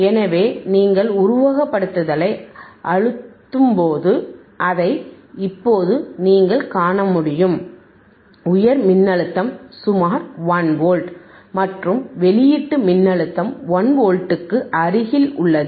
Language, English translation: Tamil, So, when you impress simulation you will be able to see that right now, high voltage is about 1 volt, and may output voltage is also close to 1 volt